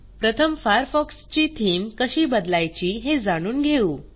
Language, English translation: Marathi, Let us first learn how to change the Theme of Mozilla Firefox